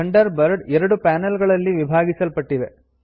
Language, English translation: Kannada, Thunderbird is divided into two panels